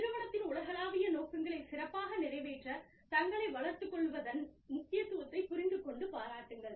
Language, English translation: Tamil, Understand and appreciate, the importance of developing themselves, to better carry out the global objectives, of the organization